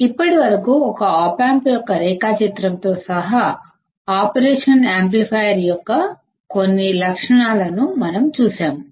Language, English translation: Telugu, Until now, we have seen a few characteristics of an operational amplifier including the block diagram of an op amp